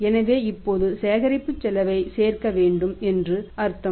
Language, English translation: Tamil, So, it means now we will have to calculate add the collection cost